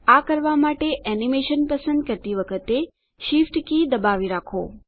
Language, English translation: Gujarati, To do this, hold down the Shift key, while selecting the animation